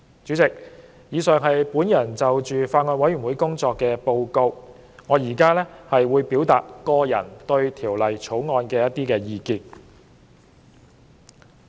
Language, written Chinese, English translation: Cantonese, 主席，以上是我就法案委員會工作的報告，我接着會就《條例草案》表達個人意見。, President that is my report on the work of the Bills Committee . I will now present my personal views on the Bill